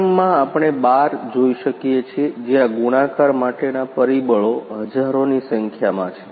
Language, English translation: Gujarati, In first one we can see 12 where the multiplication factors is thousands